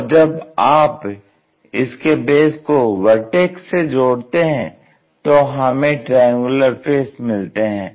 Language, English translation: Hindi, When you are connecting this base all the way to vertex, we will see triangular faces